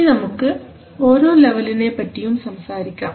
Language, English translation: Malayalam, Now let us see each of these levels